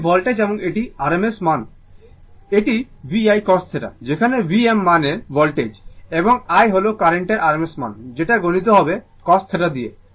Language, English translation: Bengali, This voltage and this is rms current that means, it is VI cos theta, whereas V is the rms value of the voltage, and I is the rms value of the current multiplied by the cos theta